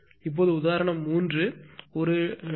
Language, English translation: Tamil, Now, example 3 assume that a 2